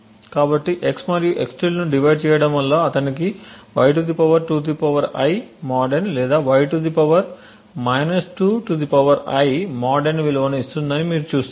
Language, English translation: Telugu, So, you see that dividing x and x~ would either give him a value of (y ^ (2 ^ I)) mod n or (y ^ ( 2 ^ I)) mod n